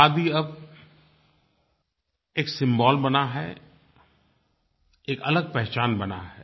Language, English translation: Hindi, Khadi has now become a symbol, it has a different identity